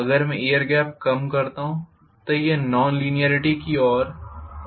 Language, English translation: Hindi, If I reduce the air gap further and further it will go further and further towards non linearity